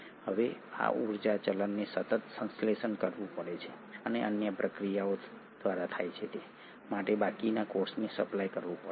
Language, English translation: Gujarati, Now this energy currency has to be constantly synthesised and supplied to the rest of the cell for other processes to happen